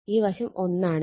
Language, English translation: Malayalam, 5 this is also 1